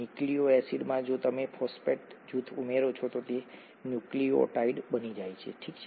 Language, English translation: Gujarati, To a nucleoside if you add a phosphate group, it becomes a nucleotide, okay